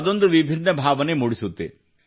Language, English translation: Kannada, So it's a different feeling